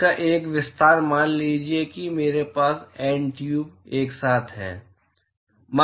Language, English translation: Hindi, An extension of that is suppose if I have N tubes together